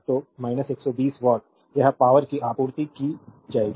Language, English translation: Hindi, So, minus 120 watt it will be power supplied